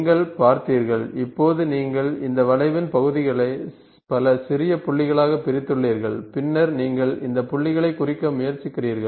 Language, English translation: Tamil, So, you have seen, now you have you have discretized this this curve, parts into several small points and then you are trying to represent those points